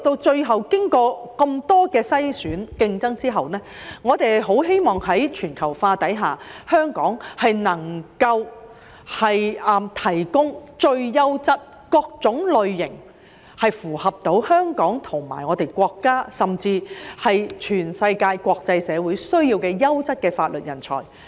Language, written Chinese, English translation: Cantonese, 最後，經過那麼多篩選和競爭，我們十分希望在全球化下，香港能夠提供各類最優質、切合香港和國家甚至全世界國際社會需要的優質法律人才。, At the end of the day with so much screening and competition in place we very much hope that amid globalization Hong Kong can provide the best legal talents that meet the needs of Hong Kong our country and even the whole world